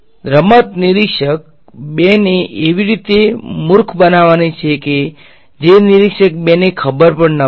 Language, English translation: Gujarati, So, the game is to sort of make a fool of observer 2 in a way that observer 2 does not know